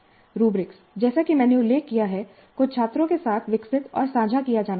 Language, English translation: Hindi, And the rubrics, as I mentioned, must be developed and shared upfront with the students